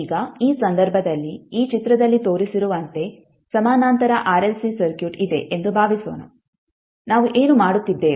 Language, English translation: Kannada, Now in this case suppose the parallel RLC circuit is shown is in this figure here, what we are doing